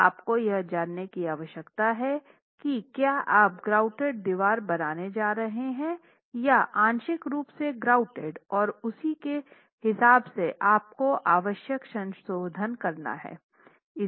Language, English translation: Hindi, So you really need to know if you're going to be using a fully grouted wall or a partially grouted wall and make necessary mns as far as your calculations are concerned